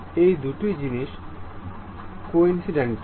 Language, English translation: Bengali, These two things are coincident